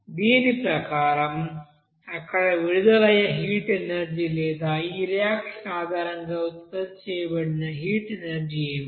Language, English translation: Telugu, And accordingly what should be the heat energy released there or heat energy you know produced based on this reaction that you have to calculate